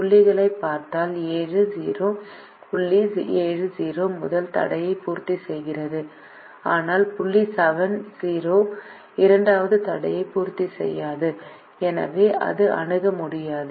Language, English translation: Tamil, if we look at the points seven comma zero, the point seven comma zero satisfies the first constraint, but the point seven comma zero does not satisfy the second constraint and therefore it is infeasible